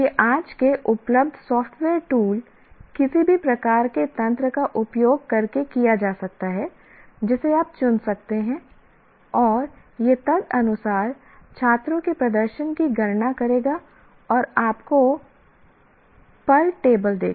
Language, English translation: Hindi, It can be done and especially using today's available software tools, any kind of mechanism that you can choose and it will compute the performance of the students accordingly and give you the table